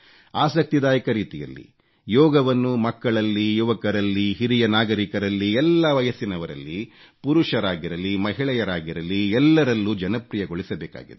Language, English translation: Kannada, Yoga has to be made popular among the youth, the senior citizens, men and women from all age groups through interesting ways